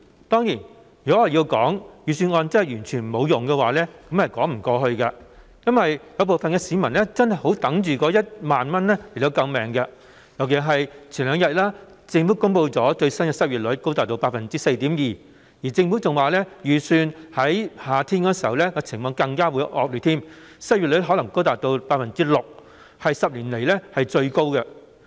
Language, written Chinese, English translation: Cantonese, 當然，如果說預算案完全沒有用，卻又說不過去，因為部分市民真的十分期待獲派發1萬元應急救命，尤其是數天前政府公布最新的失業率高達 4.2%， 更預期情況在夏天時會更為惡劣，失業率可能高達 6%， 是10年來最高。, Certainly it would be unjustifiable to say that the Budget is totally useless because some members of the public are indeed eagerly looking forward to receiving the life - saving 10,000 . This is particularly true as the Government announced several days ago that the latest unemployment rate has reached a high level of 4.2 % ; and the situation was expected to worsen in summer with the unemployment rate possibly reaching 6 % a record high in 10 years